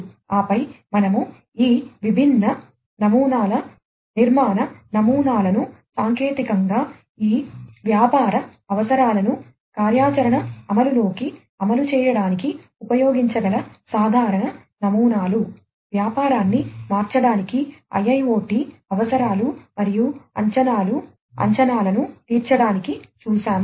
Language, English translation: Telugu, And then we have seen at some of these different patterns architectural patterns, the common patterns that could be used in order to implement technically implement these business requirements into action implement, those in order to transform the business to satisfy the IIoT requirements and expectations